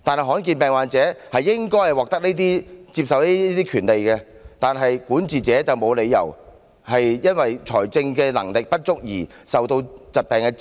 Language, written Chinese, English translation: Cantonese, 罕見病患者理應獲得接受醫療的權利，管治者沒有理由讓他們因為財政能力不足而受疾病煎熬。, Patients suffering from rare diseases should be entitled to medical treatment and there is simply no reason for the governor to let them fall prey to illness because of the lack of financial means